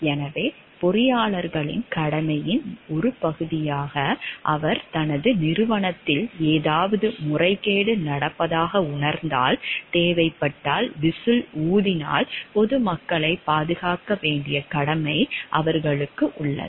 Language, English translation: Tamil, So, like as a part of the duty of the engineers they have a duty to protect the public by blowing the whistle if necessary, when he perceives that something is improper is being done in his organization